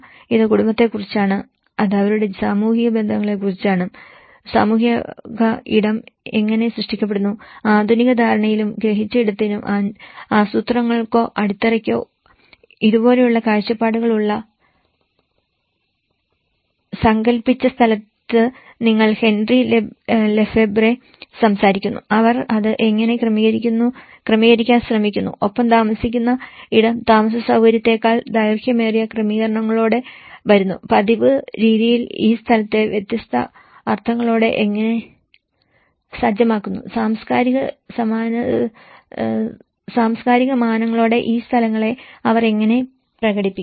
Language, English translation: Malayalam, It is about the family, it is about their social relationship, how the social space is created, so Henri Lefebvre talks from the conceived space, which the planners or the foundation have vision like this in a modernistic understanding and the perceived space, how they try to adjust with it and the lived space come with a longer run adjustments, longer than accommodation, how the habitual practices set this place with a different meanings, how they manifest these places with the cultural dimension